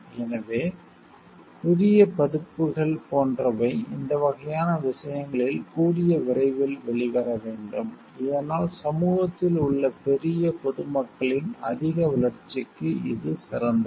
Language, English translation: Tamil, So, these type of things which requires like newer versions to come up as quickly as possible so that in which is better for the like greater growth of the greater public in society at large